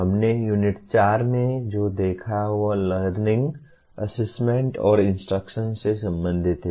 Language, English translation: Hindi, What we looked at in unit 4 is related to learning, assessment, and instruction